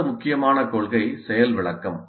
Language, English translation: Tamil, The next important principle is demonstration